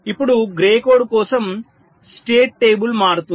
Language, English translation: Telugu, now for grey code, the state table will change